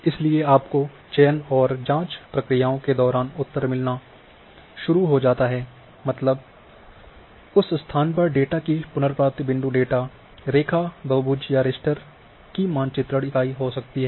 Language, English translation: Hindi, So, you start getting answer in during selection and query processes that what is at that location, retrieval of data you can have a point data a line polygon or mapping units of a rasters